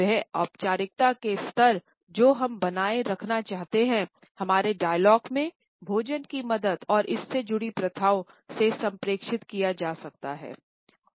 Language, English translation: Hindi, The levels of formality which we want to maintain in our dialogue can also be communicated with the help of food and its associated practices